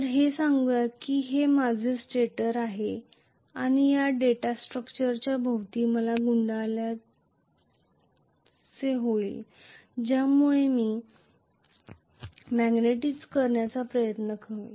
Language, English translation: Marathi, So, let us say this is my stator and I am going to have a coil wound around this data structure which will try to magnetize it